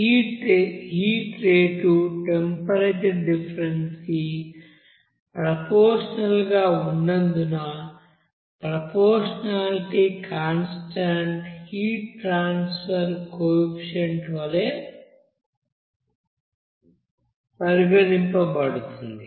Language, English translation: Telugu, And since this heat rate is proportional to the temperature difference, the proportionality constant will be regarded as that heat transfer coefficient